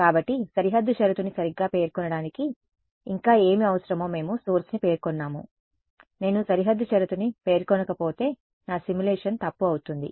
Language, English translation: Telugu, So, we have we have specified the source what else do we need to specify boundary condition right, if I do not specify boundary condition my simulation will be wrong